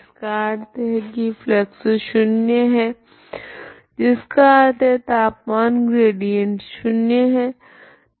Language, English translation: Hindi, That means this flux is 0 that is the temperature gradient has to be 0 that is wx